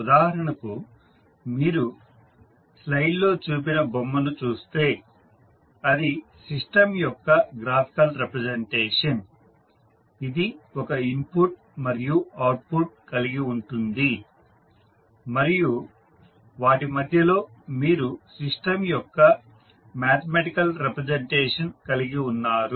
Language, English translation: Telugu, For example, if you see the figure shown in the slide it is a graphical representation of the system which has one input and the output and in between you have the mathematical representation of the system